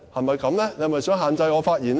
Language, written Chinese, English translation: Cantonese, 主席，你是否想限制我發言呢？, President are you restricting my making of speeches?